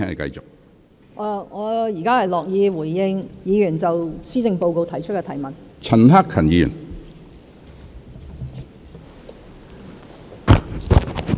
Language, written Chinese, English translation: Cantonese, 我現在樂意回應議員就施政報告作出的提問。, I am happy to respond to Members questions on the Policy Address